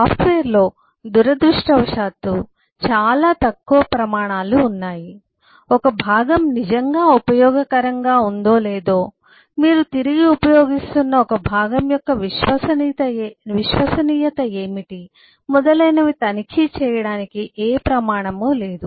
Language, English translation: Telugu, in software, unfortunately, there are very few standards, really really hardly any standard, to check if a component is really usable, what is the reliability of a component that you are using, and so on